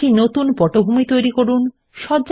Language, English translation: Bengali, Create a new background